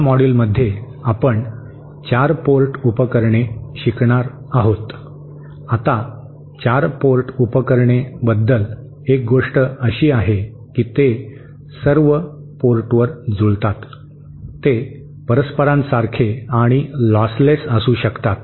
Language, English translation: Marathi, In this module we are going to cover 4 port devices, now one thing about 4 port devices is that they can all be matched at all ports, they can also be reciprocal and they can also be lost less